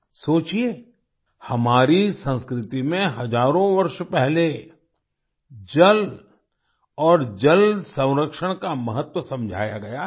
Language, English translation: Hindi, Think about it…the importance of water and water conservation has been explained in our culture thousands of years ago